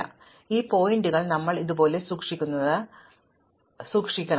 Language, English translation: Malayalam, So, what I am saying that we will keep these pointers like this